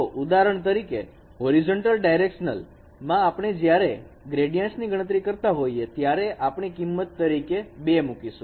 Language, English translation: Gujarati, So, for example, in the horizontal directions when we are computing this gradient, we are giving weights of two here